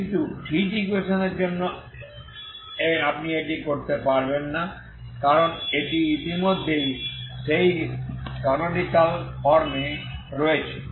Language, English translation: Bengali, So but for the heat equation you cannot do this is already it is already in that canonical form heat equation, right